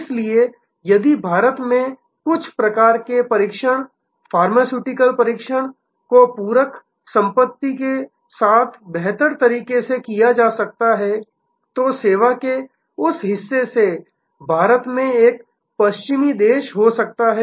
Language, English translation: Hindi, So, if certain types of testing pharmaceutical testing could be done better with complimentary assets in India, then that part of the service moved from may be a western country to India